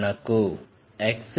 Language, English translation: Telugu, What is x